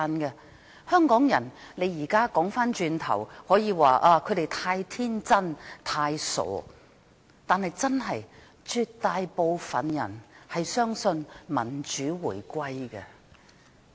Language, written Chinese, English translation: Cantonese, 現在回顧過去，可以說香港人太天真、太傻，但絕大部分人真的相信民主回歸。, Looking back one may say that Hong Kong people were too naïve and too simple - minded but most of the people back then did believe in democratic reunification